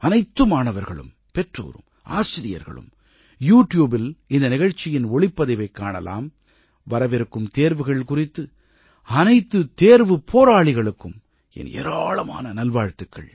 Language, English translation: Tamil, All the students, their teachers and parents can watch the recording of this entire event on YouTube, and I take this opportunity to wish all the best to all my'exam warriors', for their upcoming examinations